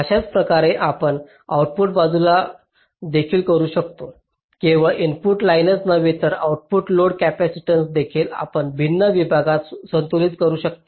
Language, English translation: Marathi, similarly we can do for the output side, like, not only the input lines but also the output load capacitance you can balance across the different ah sigma